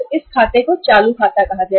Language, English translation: Hindi, It is this account is considered as a current account